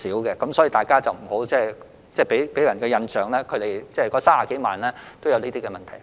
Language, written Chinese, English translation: Cantonese, 所以，請大家不要給人一個印象，就是這30多萬名外傭均有這些問題。, Hence please do not give people the impression that all the 300 000 - odd FDHs have these problems